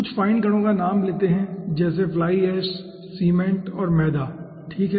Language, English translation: Hindi, just to name few, fine particles are fly ash, cement and flour